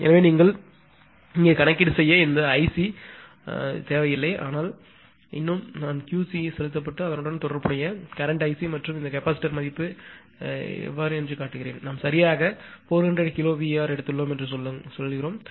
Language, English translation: Tamil, So, you although here for the calculation this I c actually is not require, but still I have showing that Q c being injected and corresponding current is I c and this capacitor value; say we have taken 400 kilowatt right